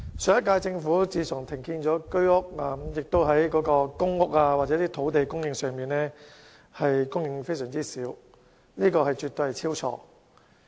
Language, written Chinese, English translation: Cantonese, 上屆政府停建居屋，而公屋和土地的供應亦非常少，這絕對是大錯特錯。, The cessation of the production of Home Ownership Scheme flats by the last - term Government coupled with the small supply of PRH units and land proved to be a big mistake